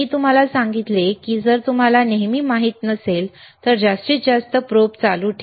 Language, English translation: Marathi, I told you that if you do not know always, keep the current on maximum probe on maximum,